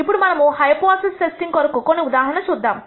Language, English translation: Telugu, Now, let us look at some examples for hypothesis testing